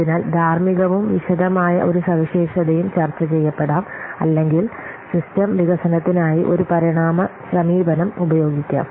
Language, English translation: Malayalam, So that what should be ethical and a detailed specification may be negotiated or an evolutionary approach may be used for the system development